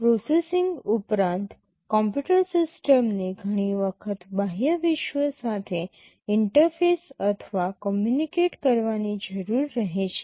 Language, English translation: Gujarati, In addition to processing, the computer system often needs to interface or communicate with the outside world